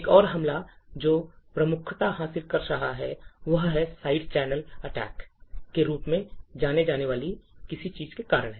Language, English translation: Hindi, Another attack which is gaining quite importance is due to something known as Side Channel Attacks